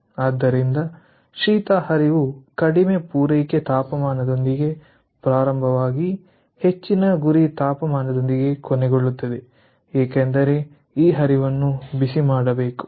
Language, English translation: Kannada, so, cold stream, we will start with a low ah supply temperature and it will end up with some sort of a high target temperature because this stream is to be heated